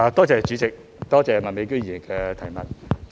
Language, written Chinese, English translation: Cantonese, 主席，多謝麥美娟議員的補充質詢。, President I thank Ms MAK for her supplementary question